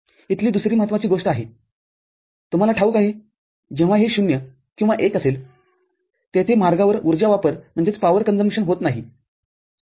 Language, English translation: Marathi, The other important thing here there is the, you know, when it is either 0 or 1, no power consumption is there along this path